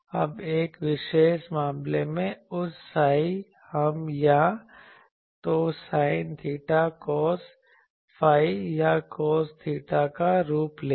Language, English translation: Hindi, Now, that psi in a particular case, we will take the form of either sin theta cos phi or cos theta something